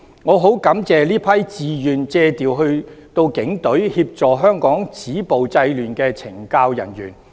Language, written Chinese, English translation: Cantonese, 我十分感謝這些自願借調到警隊，協助香港止暴制亂的懲教人員。, I am thankful to these CSD officers who are voluntarily seconded to the Police Force to help stop the violence and curb disorder in Hong Kong